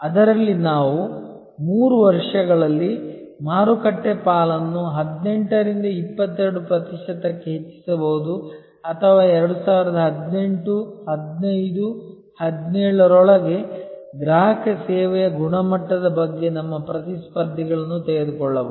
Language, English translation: Kannada, Out of which we can then derive something like increase market share from 18 to 22 percent in 3 years or over take our rivals on quality of customer service by 2018, 15, 17 whatever